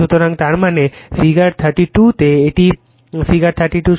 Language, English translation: Bengali, So, that is in the figure thirty 2 this is your figure 32